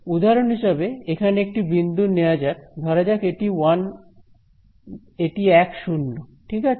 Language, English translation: Bengali, So, for example, let us take one point over here ok so, let us call this 1 0 right